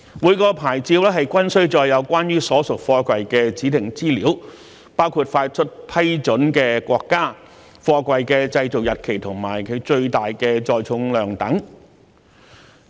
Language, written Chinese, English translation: Cantonese, 每個牌照均須載有關於所屬貨櫃的指定資料，包括發出批准的國家、貨櫃的製造日期及其最大載重量等。, Each SAP contains a required set of information relating to the container including the country of approval the containers manufacturing date and its maximum weight - carrying capability